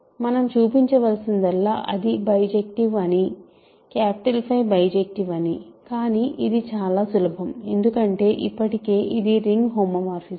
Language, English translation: Telugu, All we need to show is that it is bijective, capital phi is bijective, but this is easy because it is also a ring homomorphism, already a ring homomorphism